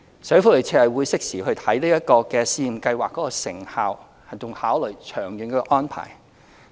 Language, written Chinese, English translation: Cantonese, 社署會適時檢視這項試驗計劃的成效，並考慮長遠的安排。, SWD will review the effectiveness of this pilot scheme in due course and consider the arrangement in the long run